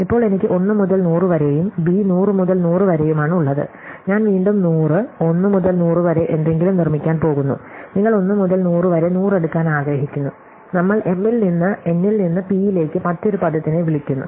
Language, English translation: Malayalam, Now, I have A which is 1 by 100 and B which is 100 by 100, so I am going to produce something which is again 100, 1 by 100 but I am going to take 1 into 100 into 100, we call m into n into p, another ten thousand